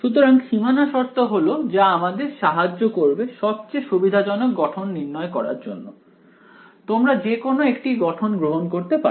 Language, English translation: Bengali, So, boundary conditions are actually what will help us to choose which is the most convenient form, you can choose either representation